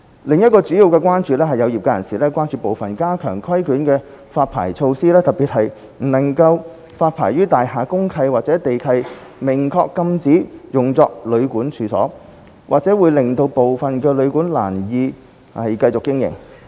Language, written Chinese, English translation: Cantonese, 另一個主要關注，是有業界人士關注部分加強規管的發牌措施，特別是不能發牌予大廈公契或地契明確禁止用作旅館的處所，或會令致部分旅館難以繼續經營。, Another major concern is from some people in the sector . They are worried that certain measures which enhance regulation on the issuance of licences especially the measure of not issuing licences to the premises with DMC or land lease provisions expressly prohibiting the use of premises as a hotel or guesthouse may render some hotels and guesthouses difficult to continue their operation